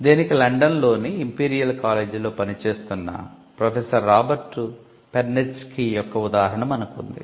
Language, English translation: Telugu, Now, we have the example of Robert Perneczky, the professor in Imperial College London